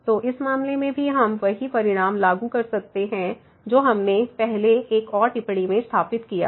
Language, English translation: Hindi, So, in this case also we can apply the same result what we have established earlier another remark